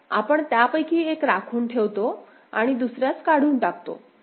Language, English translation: Marathi, So, we retain one of them and eliminate the other